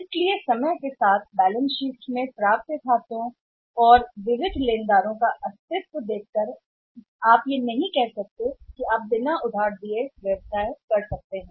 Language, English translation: Hindi, So, over a period of time seen that the existence of the accounts receivable and sundry creditors is there in the balance sheet you cannot say that you can do a business without giving the credit